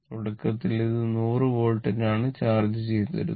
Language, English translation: Malayalam, Initially, it was charged at 100 volt, right